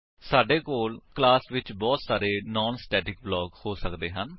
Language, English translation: Punjabi, We can have multiple non static blocks in a class